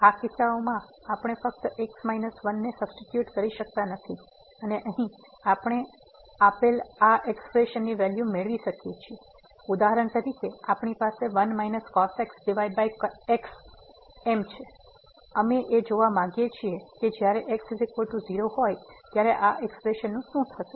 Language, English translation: Gujarati, So, in these cases we cannot just simply substitute is equal to and get the value of these expressions given here or for example, we have minus over and we want to see that what will happen to this expression when is equal to